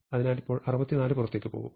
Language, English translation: Malayalam, So, now 64 move out